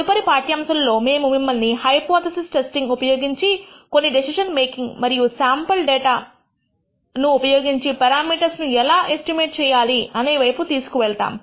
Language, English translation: Telugu, In the next lecture we will take you through some decision making using hypothesis testing and how to perform estimation of parameters using sample data